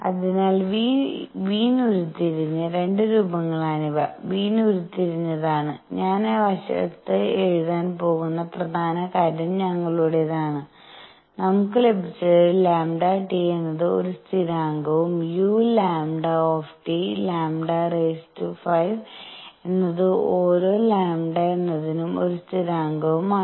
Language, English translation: Malayalam, So, these are 2 forms that have been derived by Wien that were derived by Wien, important thing that I am going to write on the side is our; what we have obtained is lambda T is a constant and u lambda T times lambda raise to 5 is a constant for each given lambda